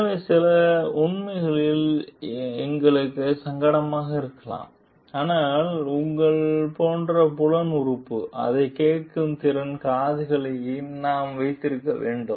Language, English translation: Tamil, So, in some truth may be uncomfortable for us, but we need to have your like sense organ, open ears open to listen to it also